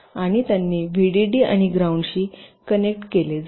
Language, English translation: Marathi, and they connected vdd and ground